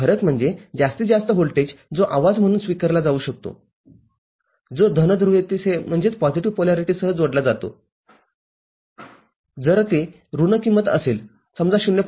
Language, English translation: Marathi, The difference is the maximum voltage that can be accepted as noise which is added as with positive polarity if it is negative value – say, 0